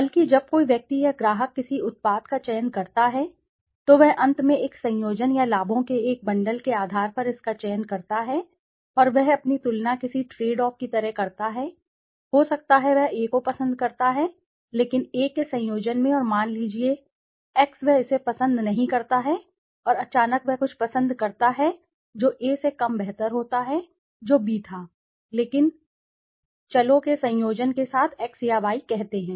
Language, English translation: Hindi, Rather when a person or a customer selects a product he finally selects it on the basis of a combination or a bundle of benefits and he makes his own comparison like a tradeoff, may be, he likes A but in a combination of A and let s say X he does not like it and suddenly he prefers something which is less preferable than A which was B but with the combination of let s say x or y